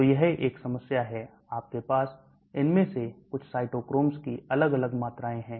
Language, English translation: Hindi, So that is a problem, you have different amounts of some of these cytochromes